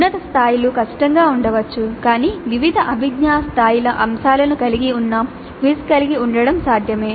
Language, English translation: Telugu, Higher levels may be difficult but it is possible to have a quiz containing items of different cognitive levels